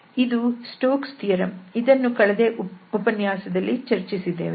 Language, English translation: Kannada, So, this was the Stokes theorem, which we have already discussed in the last lecture